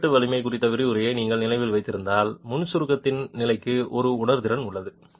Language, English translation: Tamil, If you remember the lecture on joint shear strength, there is a sensitivity to the level of pre compression